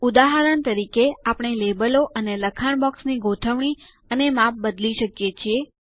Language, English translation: Gujarati, For example, we can change the placement and size of the labels and text boxes